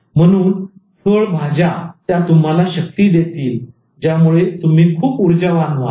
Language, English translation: Marathi, So eat that veggie that will give you strength, that will keep you very energetic